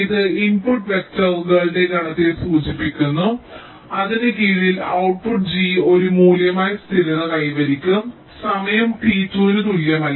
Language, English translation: Malayalam, this denotes the set of input vectors under which the output, g gets stable to a value one no later than time, t equal to two